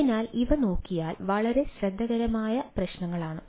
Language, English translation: Malayalam, so, if you look at these, are very, very, very tricky issues